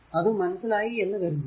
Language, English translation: Malayalam, I think you have got it, right